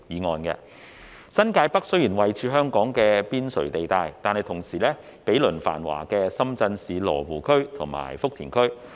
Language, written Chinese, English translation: Cantonese, 雖然新界北位處香港邊陲地帶，但同時毗鄰繁華的深圳市羅湖區和福田區。, While New Territories North is located on the periphery of Hong Kongs territory it is also situated adjacent to the bustling Luohu District and Futian District of Shenzhen